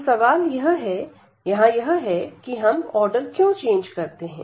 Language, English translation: Hindi, So, the question is here that why do we change the order